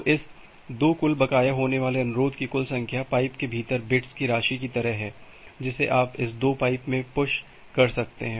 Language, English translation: Hindi, So, the total number of request that can be outstanding within this two pipe is like the total amount of bits that you can push in this two pipe